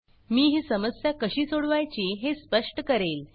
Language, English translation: Marathi, I will explain how to address this problem